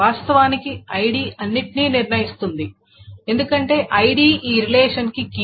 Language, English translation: Telugu, Of course ID determines everything else because ID is the key